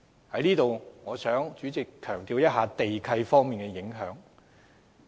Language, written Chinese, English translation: Cantonese, 主席，我想在此強調地契的影響力。, President here I would like to highlight the problems with land leases